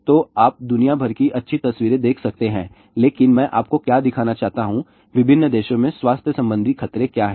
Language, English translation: Hindi, So, you can see the nice pictures of around the world, but what I want to show you , what are the health hazards reported in different countries